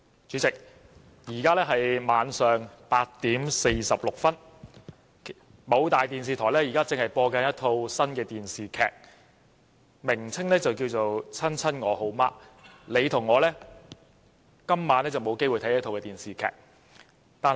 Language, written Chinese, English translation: Cantonese, 主席，現在是晚上8時46分，某大電視台正播放一套新電視劇，劇集名為"親親我好媽"，你和我今晚都沒有機會看這齣電視劇。, President the time now is 8col46 pm and a new TV drama series entitled Tiger Mom Blues is airing at our major TV broadcaster . All of us cannot watch the drama tonight though